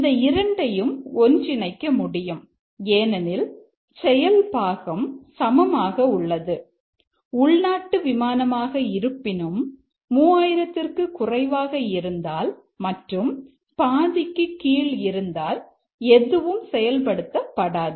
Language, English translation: Tamil, It's possible to combine these two because the action part is the same and irrespective of the domestic flight nothing is done if it is less than 3,000 and less than half full